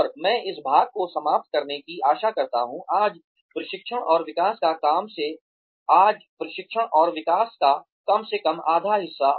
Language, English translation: Hindi, And, I hope to finish this part, at least half of training and development today